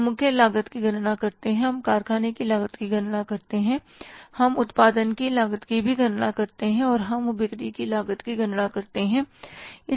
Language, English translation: Hindi, We calculate the prime cost, we calculate the factory cost, we calculate the cost of production and we calculate the cost of sales